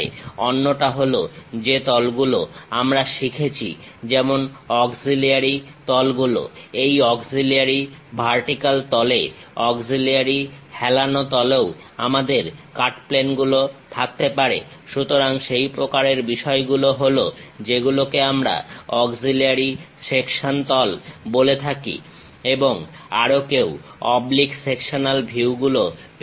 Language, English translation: Bengali, The other one is the planes what we have learned like auxiliary planes; on these auxiliary vertical plane, auxiliary inclined planes also we can have cuts; so, such kind of things are what we call auxiliary section planes and also one can have oblique sectional views also